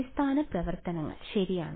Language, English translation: Malayalam, Basis functions right